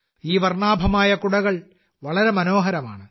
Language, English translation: Malayalam, These colourful umbrellas are strikingly splendid